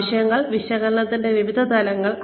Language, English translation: Malayalam, Various levels of needs analysis